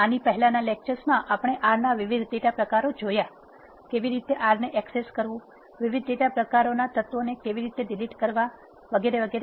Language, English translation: Gujarati, In the previous lectures we have seen various data types of R, how to access R delete the elements of the different data types and so on